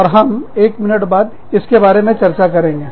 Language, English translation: Hindi, And, we will talk about this, in a minute